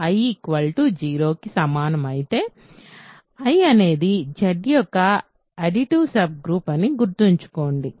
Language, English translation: Telugu, If I is equal to 0 remember I is an additive subgroup of Z